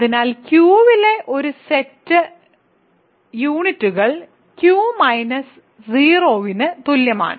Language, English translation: Malayalam, So, set of units in Q is equal to Q minus 0